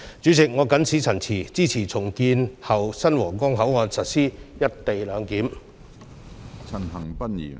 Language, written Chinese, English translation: Cantonese, 主席，我謹此陳辭，支持重建後的新皇崗口岸實施"一地兩檢"。, President with these remarks I support the implementation of co - location arrangement at the new Huanggang Port after its redevelopment